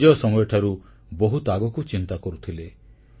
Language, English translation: Odia, He was a thinker way ahead of his times